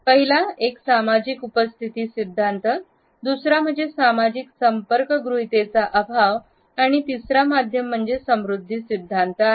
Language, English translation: Marathi, The first is a social presence theory, the second is lack of social contact hypothesis and the third is the media richness theory